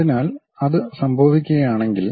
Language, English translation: Malayalam, So, if that is happening